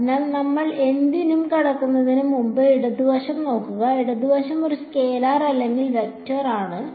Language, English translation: Malayalam, So, before we get in to anything look at the left hand side is a left hand side a scalar or a vector